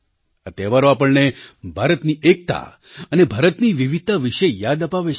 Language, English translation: Gujarati, These festivals remind us of India's unity as well as its diversity